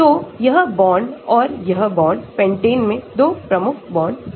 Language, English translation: Hindi, So, this bond and this bond, pentane has 2 key bonds